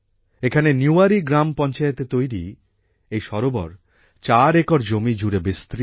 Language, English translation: Bengali, This lake, built in the Niwari Gram Panchayat, is spread over 4 acres